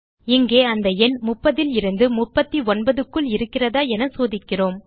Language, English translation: Tamil, Here we check whether the number is in the range of 30 39